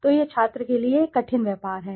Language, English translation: Hindi, So there it is a difficult tradeoff for the student